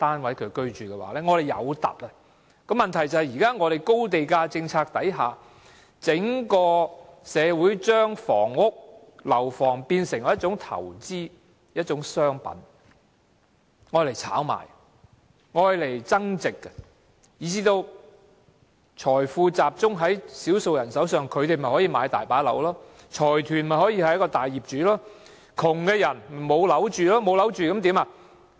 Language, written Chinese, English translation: Cantonese, 問題是在現時的高地價政策下，整個社會已把房屋看成是一種投資或商品，用來炒賣和增值，以致財富集中在少數人手上，於是他們便大量購入單位，財團便成為大業主，而窮人則無樓可住。, The problem is under the existing high land - price policy the community at large has regarded housing units as an investment for speculation or a value - added commodity . As a result wealth goes to the hands of a few people who then buy lots and lots of flats . While consortiums become major property owners poor people have nowhere to live